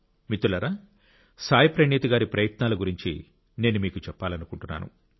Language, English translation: Telugu, Friends, I want to tell you about the efforts of Saayee Praneeth ji